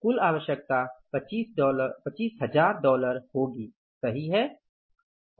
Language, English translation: Hindi, What is the total requirement is $25,000